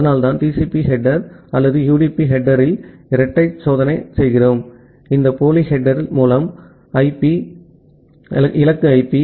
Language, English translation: Tamil, So that is why we make a double check in the TCP header or the UDP header by putting this pseudo header at the source IP, destination IP